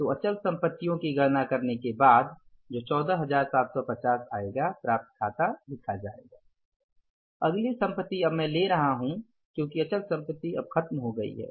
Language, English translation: Hindi, So, after this fixed assets after calculating the balance of fixed asset as 14,750, next asset now I am taking because fixed assets are over now